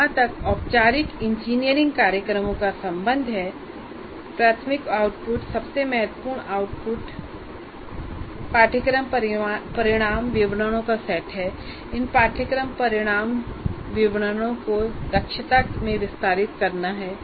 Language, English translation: Hindi, As far as engineering courses, formal engineering programs are concerned, the primary output, the most significant output is the set of course outcome statements and elaborating this course outcome statements into competencies